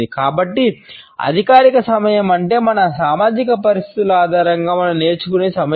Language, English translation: Telugu, So, formal time is the time which we learn on the basis of our social conditioning